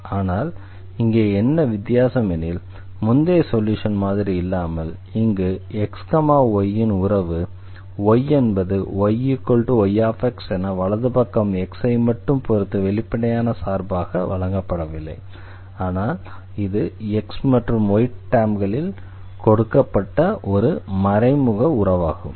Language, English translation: Tamil, Now from the earlier one here, the function of this x y is given not the as a explicit relation of y in terms of x is given, but it is an implicit relation here given in terms of x and y